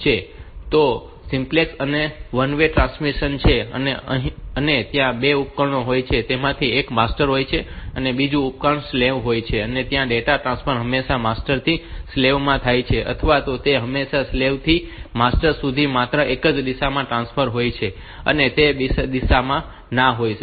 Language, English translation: Gujarati, it probably there is a there are two devices and out of them one of them is a master other one is a slave and data transfer is always either data transfer is always from the master to the slave or it is always from slave to master only in one direction